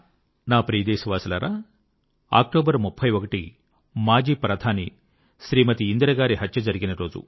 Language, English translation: Telugu, My dear countrymen, on 31st October, on the same day… the former Prime Minister of our country Smt Indira ji was assasinated